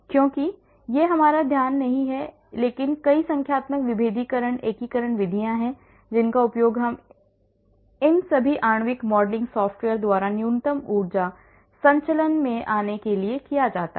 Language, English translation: Hindi, Because that is not our focus but there are many numerical differentiation, integration methods which are used by all these molecular modeling software to arrive at the minimum energy conformation